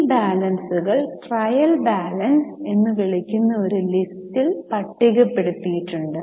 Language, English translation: Malayalam, Now those balances are listed in a list which is called as a trial balance